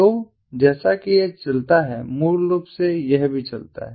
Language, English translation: Hindi, so as it moves, basically this also moves